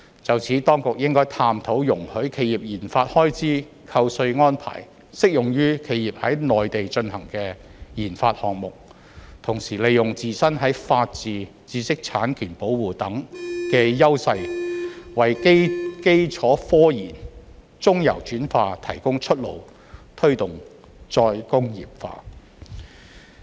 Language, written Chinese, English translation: Cantonese, 就此，當局應該探討容許企業研發開支扣稅安排適用於企業在內地進行的研發項目。同時利用自身在法治、知識產權保護等方面的優勢，為基礎科研、中游轉化提供出路，推動再工業化。, In this regard the authorities should explore whether tax deduction arrangement for enterprises RD expenditure can be applicable to their RD projects in the Mainland and make use of our strengths in areas such as the rule of law and protection of intellectual property rights so as to provide an outlet for basic scientific research and midstream translational work for promoting re - industrialization